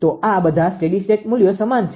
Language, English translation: Gujarati, So, all these steady state 3 values are same, right